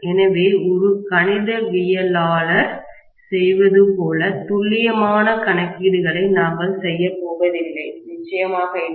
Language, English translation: Tamil, So, we are not going to do as accurate calculations as a mathematician does, definitely not, right